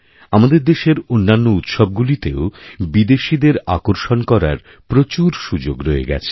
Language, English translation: Bengali, Other festivals of our country too, provide an opportunity to attract foreign visitors